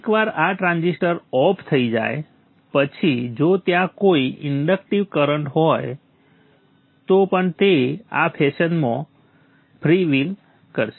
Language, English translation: Gujarati, Once this transitor goes to off state, even if there is any inductive current, this will free will be in this fashion